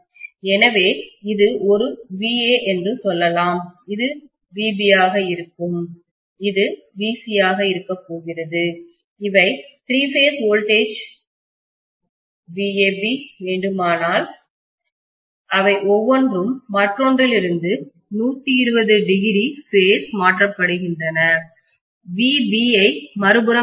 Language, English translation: Tamil, So let us say this is VA, this is going to be VB and this is going to be VC, these are the three phase voltages, they are phase shifted by each by 120 degree each when I want VAB, I can take VB on the other side